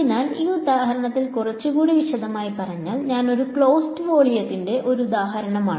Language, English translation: Malayalam, So, elaborating a little bit more on this example, this was an example of a closed volume